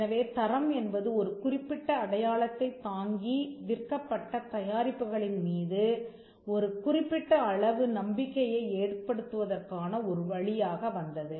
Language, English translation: Tamil, So, the quality part came as a means of attributing a certain amount of trust on the products that were sold bearing a particular mark